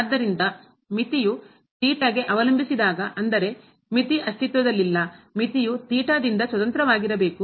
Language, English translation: Kannada, So, when the limit depends on theta; that means, the limit does not exist the limit should be independent of theta